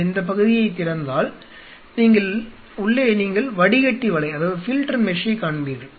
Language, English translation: Tamil, And inside if you open this part you will see the filter mesh